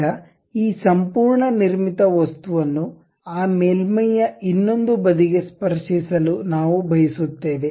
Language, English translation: Kannada, Now, we would like to have this entire constructed object touching the other side of that surface